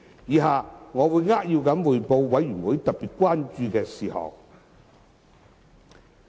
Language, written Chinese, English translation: Cantonese, 以下我會扼要匯報法案委員會特別關注的事項。, I will briefly report on the items of particular concern to the Bills Committee as follows